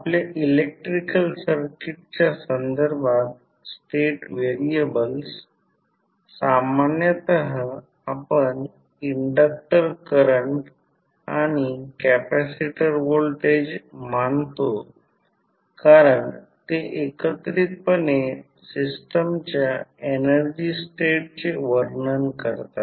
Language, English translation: Marathi, With respect to our electrical circuit the state variables we generally consider as inductor current and capacitor voltages because they collectively describe the energy state of the system